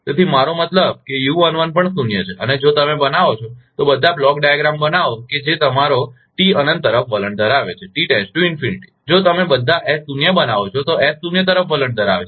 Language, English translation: Gujarati, So, I mean, even u1 is zero and if you make, make all the block diagram that is your T tends to infinity, so S tends to zero if you make all S zero